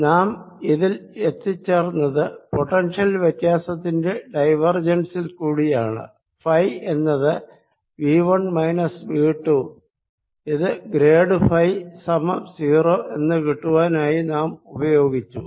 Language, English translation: Malayalam, we arrives at this by looking at a divergence of the difference where phi is v one minus v two, and this we used to get that grad phi must be zero